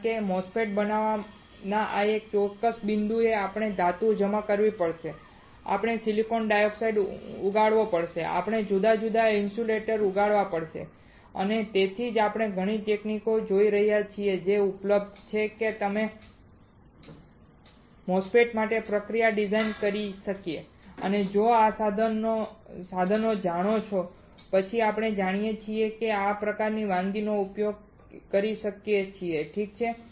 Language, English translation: Gujarati, Because at certain point in fabrication fabricating MOSFET we will we have to deposit metal we have to grow silicon dioxide we have to grow different insulators and that is why we are looking at several techniques that are available that we can design the process for MOSFET and if you know this equipment then we know what kind of recipes we can use it alright